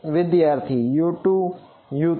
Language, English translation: Gujarati, U 2 and U 3